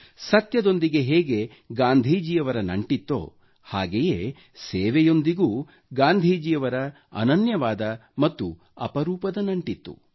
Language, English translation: Kannada, Gandhiji shared an unbreakable bond with truth; he shared a similar unique bond with the spirit of service